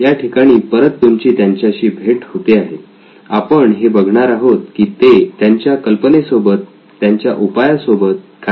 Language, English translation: Marathi, So you will meet them again and we will see what they do with their idea, their solution